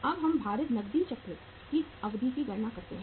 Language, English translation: Hindi, Now we calculate the duration of the weighted cash cycle